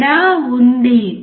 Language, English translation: Telugu, There is a difference